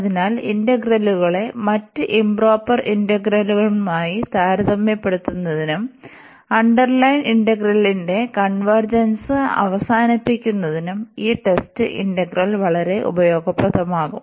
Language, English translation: Malayalam, So, this test this test integral will be very useful to compare the integrals with other improper integrals and to conclude the convergence of the underline integral